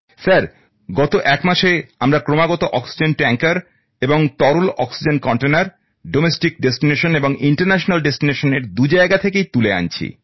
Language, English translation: Bengali, Sir, from the last one month we have been continuously lifting oxygen tankers and liquid oxygen containers from both domestic and international destinations, Sir